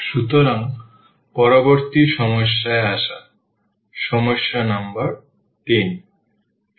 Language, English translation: Bengali, So, coming to the next problem; problem number 3